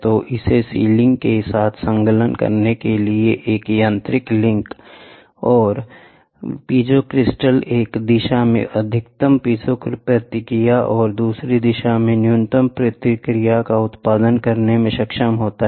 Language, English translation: Hindi, So, there is a mechanical link to attach it with the sealing and it the piezo crystal is capable of producing the maximum piezo response in one direction and minimum response in the other direction